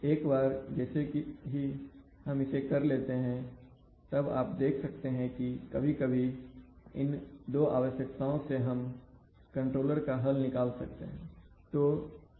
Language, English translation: Hindi, So once we can do that then you see we can, you can sometimes from these two requirements, we can solve out the controller, right